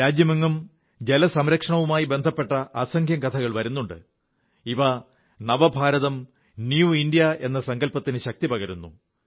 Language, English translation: Malayalam, The country is replete with innumerable such stories, of water conservation, lending more strength to the resolves of New India